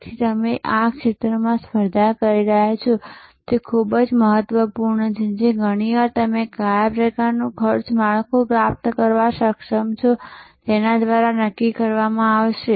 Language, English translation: Gujarati, So, which field you are competing in is very important that will be often determined by what kind of cost structure you are able to achieve